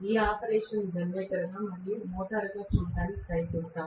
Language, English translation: Telugu, Let me try to look at this operation as a generator and as a motor, right